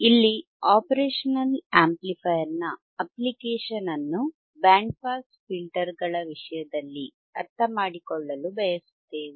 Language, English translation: Kannada, Here, we want to understand the application of the operational amplifier in terms of band pass filters